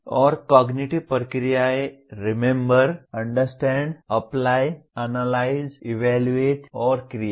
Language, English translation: Hindi, And cognitive processes are Remember, Understand, Apply, Analyze, Evaluate, and Create